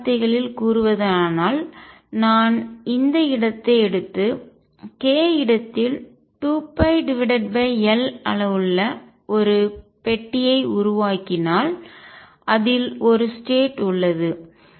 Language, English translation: Tamil, In other words if I take this space and make a box of size 2 pi by L in the k space there is one state in it